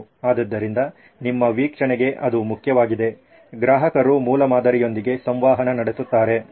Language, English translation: Kannada, So that is important to your observation, the customer actually interacting with the prototype